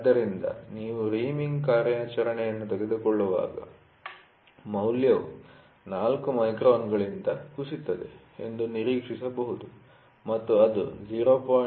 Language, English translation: Kannada, So, when we take reaming operation, the value might be expected to fall from 4 microns it might go up to 0